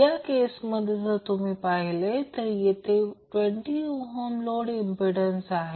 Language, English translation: Marathi, So, in this case, you will see that the 20 ohm is the load impedance